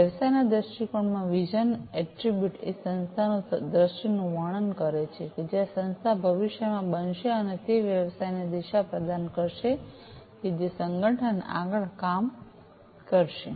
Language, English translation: Gujarati, The vision attribute in the business viewpoint describes the vision of the organization where the organization is going to be in the future, the future state of it, and providing direction to the business towards which the organization is going to work further